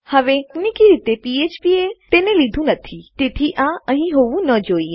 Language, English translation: Gujarati, Now technically, php hasnt picked this up, so this shouldnt be here